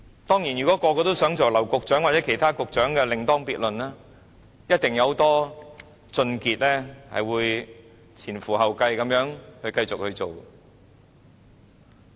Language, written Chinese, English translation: Cantonese, 當然，如果想成為劉局長或其他局長則另當別論，一定有很多俊傑會前仆後繼地繼續去做。, Of course it would be a different matter if one wants to become Secretary LAU Kong - wah or other Directors of Bureaux and I am sure a lot of smart guys will keep working for these offices one after another